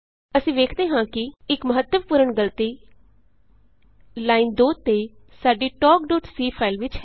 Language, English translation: Punjabi, We see that There is a fatal error at line no.2 in our talk.c file